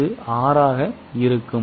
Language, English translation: Tamil, It will be 6